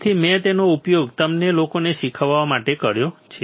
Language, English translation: Gujarati, So, I have used it for teaching you guys ok